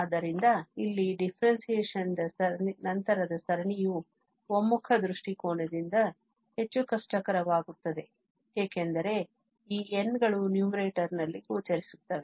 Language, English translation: Kannada, So, here the series after differentiation becomes more difficult for the convergence point of view because of these n's which are appeared in the numerator